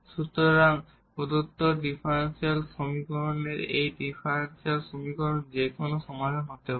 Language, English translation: Bengali, So, this is no more a general solution, this is a particular solution of the given differential equation